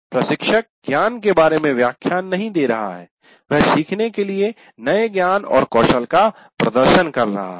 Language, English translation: Hindi, We are not saying lecturing about the knowledge, demonstrating the new knowledge and skill to be learned